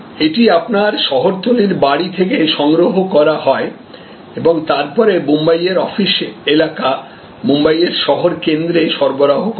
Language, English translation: Bengali, So, it is collected from your suburban home and then, delivered to the city center of Mumbai, the office area of Mumbai